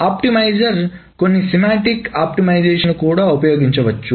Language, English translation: Telugu, The optimizer can also use certain semantic optimizations